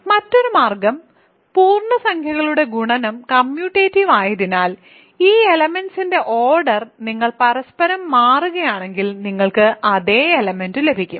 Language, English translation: Malayalam, So, and the other way because multiplication of integers is commutative you get the other if you interchange the role of the order of these elements, you get the same element